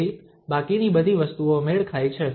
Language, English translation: Gujarati, So the rest everything matches